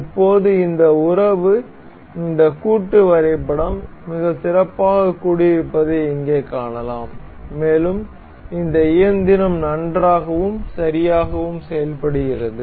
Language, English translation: Tamil, Now, we can see here that this relation is this assembly is very well assembled, and this engine works nice and good